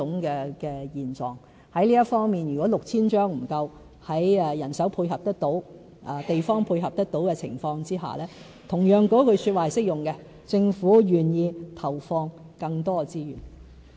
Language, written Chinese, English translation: Cantonese, 在這方面，如果 6,000 張服務券不足夠，在人手配合得到、地方配合得到的情況下，同樣那句說話是適用的——政府願意投放更多資源。, In case the 6 000 vouchers cannot cope and manpower and availability of sites permitting what I just said equally applies here―the Government is prepared to allocate more resources